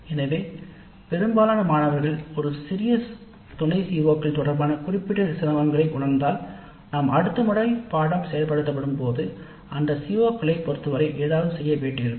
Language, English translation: Tamil, So if most of the students feel certain difficulty with respect to a small subset of COs, then we may have to do something with respect to those COs the next time the course is implemented